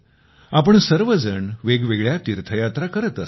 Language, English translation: Marathi, All of us go on varied pilgrimages